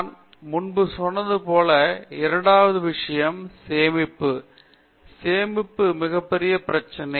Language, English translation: Tamil, Second thing as I told you before, the storage; storage also is a very big issue